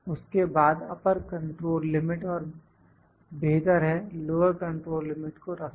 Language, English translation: Hindi, Then upper control limit and better put lower control limit